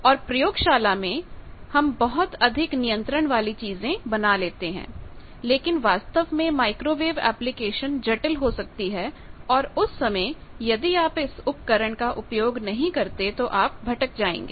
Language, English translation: Hindi, So, simple and in laboratory we are creating much more control things, but in actual microwave applications, the things may be complicated and that time if you do not use this tool you will be, at a loss